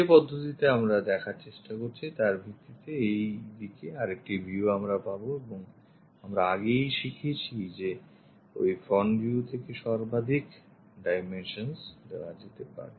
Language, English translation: Bengali, Based on the method what we are trying to see, this is the way other view we will be having and already we have learned the maximum dimensions supposed to be given by that front view